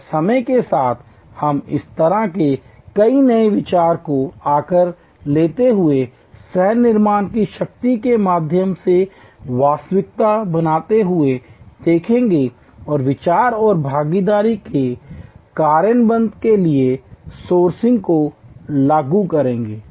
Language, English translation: Hindi, And over time we will see many such new ideas taking shape becoming reality through the power of co creation and crowd sourcing of idea and participatory immersive implementation